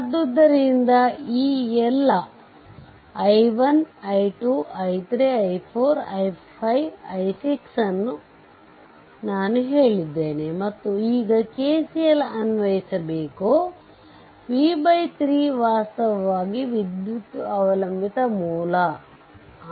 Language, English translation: Kannada, So, all these things ah i 1 i 2 i 3 i 4 i 5 i 6 all I have told and now apply your KCL remember, this v by 3 actually current dependent current source